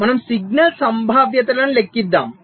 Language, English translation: Telugu, so we have calculated the signal probabilities